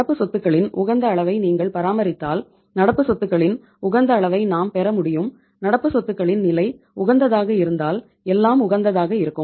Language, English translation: Tamil, If you maintain the level of that much level of the current assets then we will be able to have the optimum level of current assets and if the level of current assets is optimum everything will be optimum